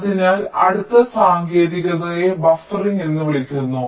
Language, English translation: Malayalam, fine, so the next technique is called buffering